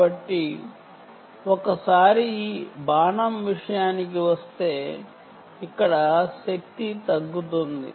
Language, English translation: Telugu, so once it comes to this arrow back here, there is a power down